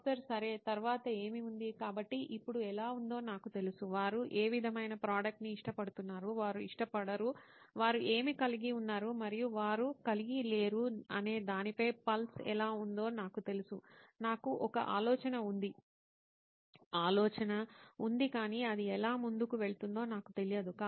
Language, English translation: Telugu, Okay, what is next in terms of, so now I know how it looks like I know what sort of have a pulse on what the product is like what they like, what they do not like, what they have and what they do not have, I sort of have an idea but I do not know how it will go forward